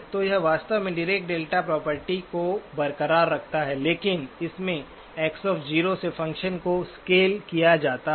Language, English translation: Hindi, So it actually retains the Dirac delta property but it is scaled by the function at X of 0